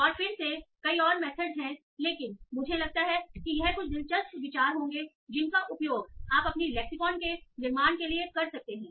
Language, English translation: Hindi, And again there are many more methods but I think this will be some interesting ideas that you can use for building your opinion lexical